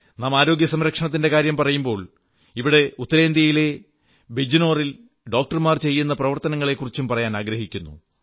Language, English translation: Malayalam, Since we are referring to healthcare, I would like to mention the social endeavour of doctors in Bijnor, Uttar Pradesh